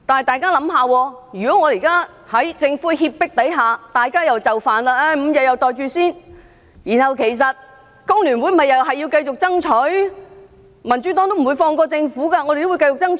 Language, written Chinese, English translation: Cantonese, 大家想一想，如果現在我們在政府脅迫下又就範 ，5 天都"袋住先"，然後，其實工聯會還是要繼續爭取，民主黨也不會放過政府，都會繼續爭取。, Even if we now give in under the Governments threat and pocket five days paternity leave first FTU will still press on with the fight and the Democratic Party will not let the Government get off the hook or stop fighting for the target